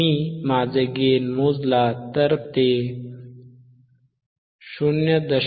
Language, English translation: Marathi, Iif I calculate my gain my gain, it is 0